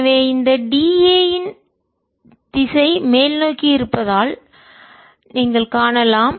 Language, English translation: Tamil, so the direction of this d a, it's upwards, as you can see here